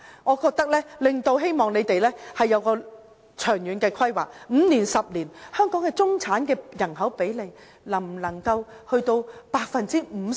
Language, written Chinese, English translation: Cantonese, 我希望政府要有長遠規劃，在5年或10年後，香港中產的人口比例能否達到 50%？, I wish that the Government can do some long - term planning and see if the proportion of middle class population can reach 50 % after 5 or 10 years